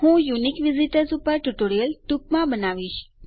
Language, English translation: Gujarati, Ill make a unique visitors tutorial soon